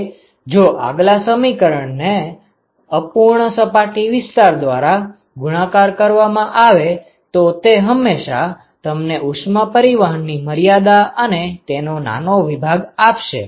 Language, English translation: Gujarati, Now, that is multiplied by the fractional surface area it will always give you what is the extent of heat transport and that small section